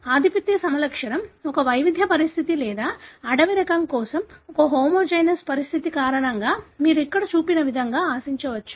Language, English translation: Telugu, Assuming the dominant phenotype is because of a heterozygous condition or a homozygous condition for the wild type you could expect as shown here